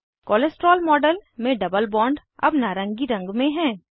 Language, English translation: Hindi, The double bond in the cholesterol model is now in orange color